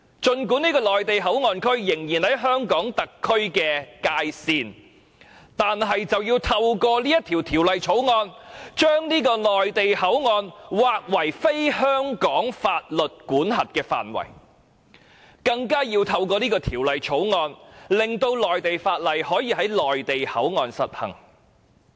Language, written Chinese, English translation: Cantonese, 儘管這個內地口岸區仍然在香港特區的界線內，但卻透過《條例草案》被劃為非香港法律管轄的範圍，更透過《條例草案》令內地法例可以在內地口岸區實行。, Although MPA still lies within the boundary of HKSAR it will not be deemed as under Hong Kongs jurisdiction pursuant to the Bill . Worse still laws of the Mainland shall be applied in MPA under the Bill